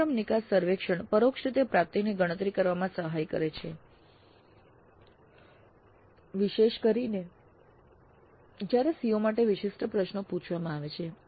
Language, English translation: Gujarati, So course exit survey aids in computing the indirect attainment particularly when questions are asked specific to COs